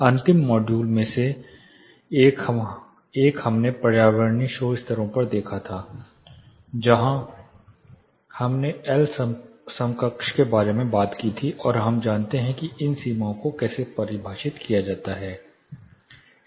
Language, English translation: Hindi, One of the last modules we looked at the environmental noise levels, where we talked about L equivalent and we know how these limits are defined